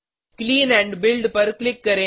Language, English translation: Hindi, Click on Clean and Build